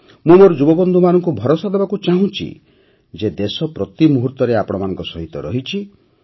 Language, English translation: Odia, I want to assure my young friends that the country is with you at every step